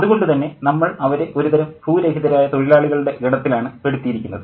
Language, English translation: Malayalam, So, we see them as a sort of landless laborers